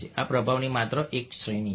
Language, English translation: Gujarati, this is just one category of influence